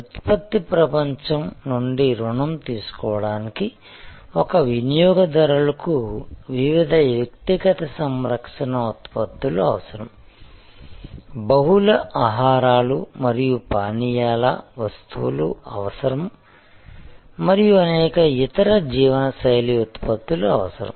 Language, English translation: Telugu, To borrow from the product world, a customer, a consumer needs various personal care products, needs various food and beverage items, needs various other lifestyle products